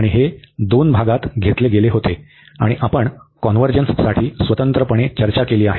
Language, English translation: Marathi, And this was taken into two parts, and we have discussed each separately for the convergence